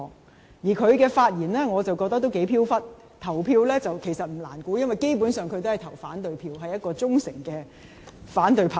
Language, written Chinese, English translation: Cantonese, 我認為他的發言頗飄忽，投票意向不難預測，因他基本上是投反對票，是一位忠誠反對派。, I find his comments quite erratic and his voting behaviour easy to predict because he basically casts dissenting votes being a loyal member of the opposite camp